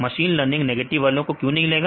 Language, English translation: Hindi, So, why the machines learning excludes negative correctly